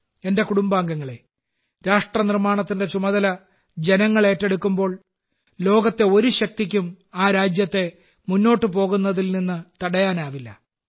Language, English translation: Malayalam, My family members, when the people at large take charge of nation building, no power in the world can stop that country from moving forward